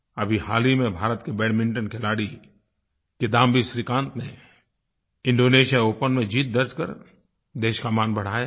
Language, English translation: Hindi, Recently India's Badminton player, Kidambi Shrikant has brought glory to the nation by winning Indonesia Open